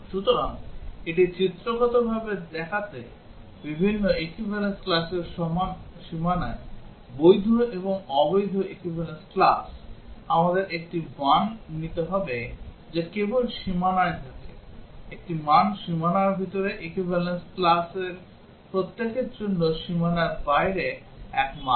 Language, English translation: Bengali, So, to show it pictorially; at the boundary of different equivalence classes, the valid and invalid equivalence classes, we would have to take one value which is just on the boundary, one value just inside the boundary, one value just outside the boundary for each of the equivalence classes